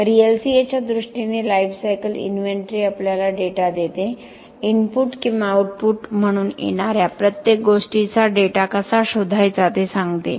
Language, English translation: Marathi, So, in terms of LCA the lifecycle inventory gives us the data, tells us how to find data of everything that is coming as an input or an output